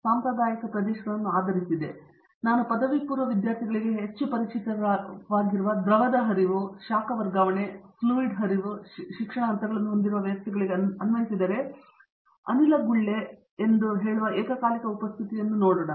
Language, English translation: Kannada, That traditional areas would be based on, letÕs say fluid flow heat transfer, the courses which are very much familiar to the undergraduate students, Fluid flow when I say applied to systems where you have multiple phases present, simultaneous presence of let say a gas bubble sparged in a liquid column which you called as a bubble column